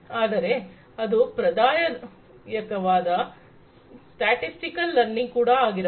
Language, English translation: Kannada, But, it could be also the traditional statistical learning